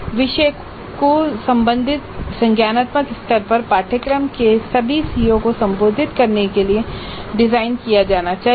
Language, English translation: Hindi, The item should be designed to address all the CEOs of the course at the concerned cognitive levels